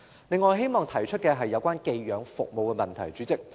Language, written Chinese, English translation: Cantonese, 另外，我希望提一提寄養服務的問題。, As a side note I wish to mention the problems in foster care services